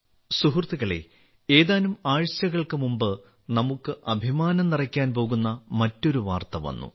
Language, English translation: Malayalam, Friends, a few weeks ago another news came which is going to fill us with pride